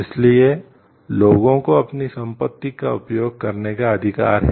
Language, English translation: Hindi, So, people have the right to use their property